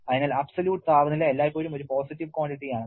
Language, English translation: Malayalam, So, absolute temperature is always a positive quantity